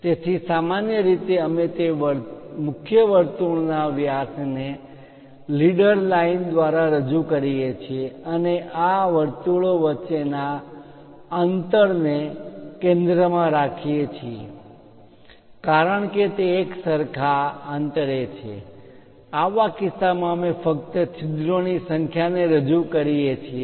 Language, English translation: Gujarati, So, usually we represent that main circle diameter through leader line and also center to center distance between these circles because they are uniformly spaced in that case we just represent number of holes